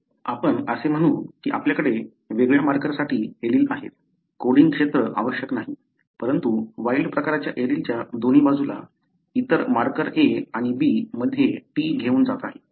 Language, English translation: Marathi, So, we have an allele for a different marker, not necessarily a coding region, but some other marker A and B on either side of thewild type allele carries T